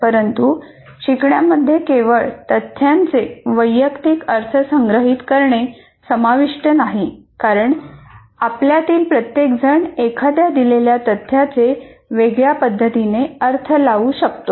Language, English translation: Marathi, But learning involves not just storing personal interpretations of facts because each one of us may interpret a particular fact completely differently